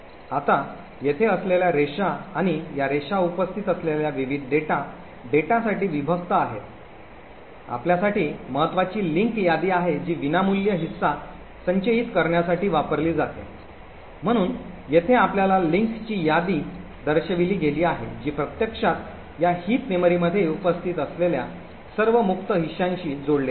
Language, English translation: Marathi, Now the lines over here like this this and these lines are separation for the various meta data that are present, so important for us are the link list which are used to store the free chunks, so over here we are shown a w link list which actually is linked to all the free chunks that are present in this corresponding heap memory